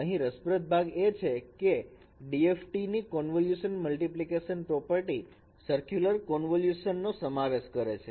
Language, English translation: Gujarati, The interesting part is that convolution multiplication property for DFT, it holds for this circular convolution